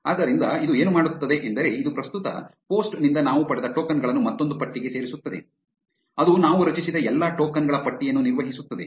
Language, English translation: Kannada, So, what this will do is, this will append the tokens that we got from the current post into another list which will maintain the list of all the tokens that we have generated